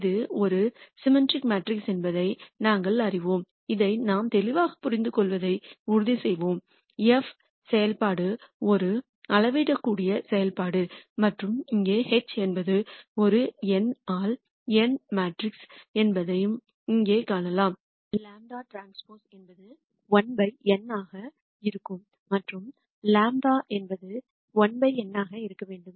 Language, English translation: Tamil, We know that this is a symmetric matrix and let us also make sure we understand this clearly the function f is a scalar function and you can see that here also H is an n by n matrix here lambda transpose will be 1 by n and lambda will be n by 1